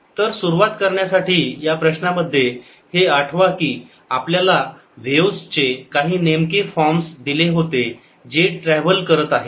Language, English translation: Marathi, so to start with, in this problem, recall that we had given certain forms for waves which are traveling